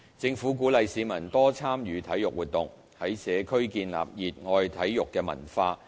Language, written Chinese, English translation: Cantonese, 政府鼓勵市民多參與體育活動，在社區建立熱愛體育的文化。, The Government encourages public participation in sporting activities with the aim of building a sporting culture within the community